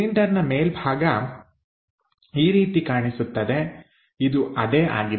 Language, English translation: Kannada, So, the cylinder top portion looks like this one, that one is this